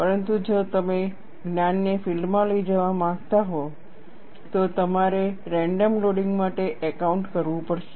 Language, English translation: Gujarati, But if you want to take the knowledge to the field, you will have to account for random loading